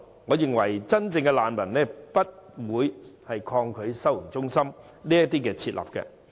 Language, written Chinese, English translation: Cantonese, 我認為真正的難民不會抗拒設立收容中心。, I think genuine refugees will not resist the establishment of the holding centre